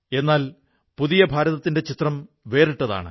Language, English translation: Malayalam, But, the picture of New India is altogether different